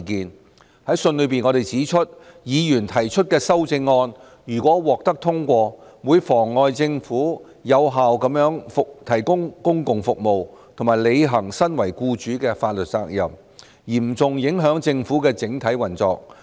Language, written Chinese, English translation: Cantonese, 我們在信中指出，議員提出的修正案如獲得通過，會妨礙政府有效提供公共服務，以及履行身為僱主的法律責任，嚴重影響政府的整體運作。, We submitted in our letter that passage of such amendments proposed by Members would obstruct the Governments effective provision of public services and fulfilment of its legal responsibility as an employer thus affecting seriously the overall government operation